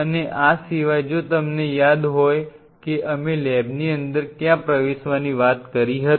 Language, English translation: Gujarati, And apart from it if you remember where we talked about entering into inside the lab